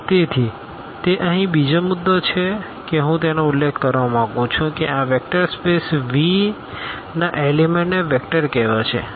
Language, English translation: Gujarati, So, that is another point here I would like to mention that the elements of this vector space V will be called vectors